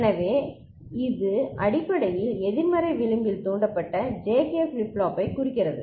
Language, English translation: Tamil, So, this is basically referring to negative edge triggered JK flip flop